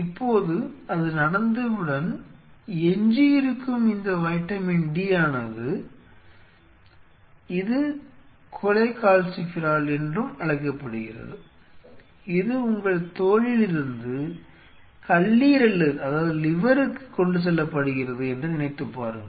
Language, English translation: Tamil, Now once that happens this is remaining d which is also called cholecalciferol, cholecalciferol from a, from your skin just think of it, from your skin is transported to the liver